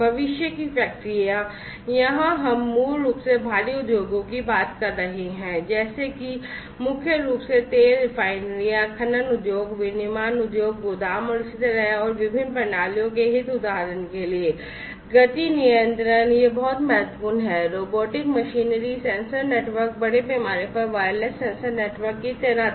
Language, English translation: Hindi, Factories of the future, here basically we are talking about catering to the heavy industries primarily such as you know oil refineries, mining industry, manufacturing industry, warehouses, and so on and the interests of the different systems for example, motion control this is very important, robotic machinery, sensor networks, massive wireless sensor network deployment